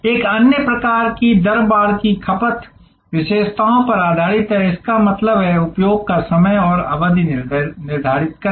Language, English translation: Hindi, Another kind of rate fencing is based on consumption characteristics; that means, set time and duration of use